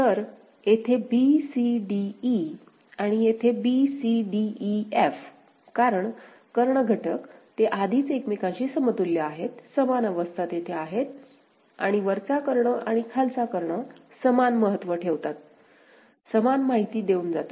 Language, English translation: Marathi, So, a b c d e over here and b c d e f over here because the diagonal elements, they are already equivalent with each other, the same states are there and upper diagonal and lower diagonal carry the same significance, carry the same information